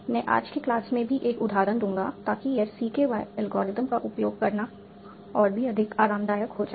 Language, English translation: Hindi, So, but what I will do, I will do an example in today's class also so that it becomes, you become much more comfortable with using CQA algorithm